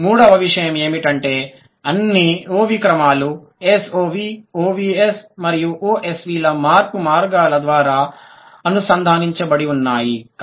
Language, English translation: Telugu, And the third thing is that all the OV orders, SOV, O S and OSV are connected by the pathways of change